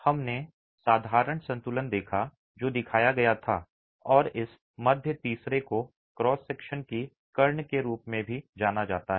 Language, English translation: Hindi, We saw by simple equilibrium that was shown and this middle third is also referred to as the kern of the cross section